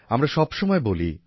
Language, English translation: Bengali, We always say